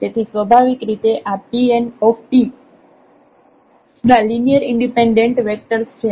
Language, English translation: Gujarati, So, naturally these are linearly independent vectors of P n t